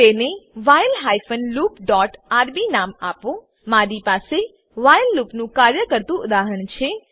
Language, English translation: Gujarati, Name it while hyphen loop dot rb I have a working example of the while loop